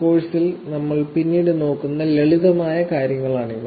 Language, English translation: Malayalam, So, these are the simple things that we will look at later in the course